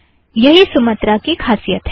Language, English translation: Hindi, So that is the key thing about Sumatra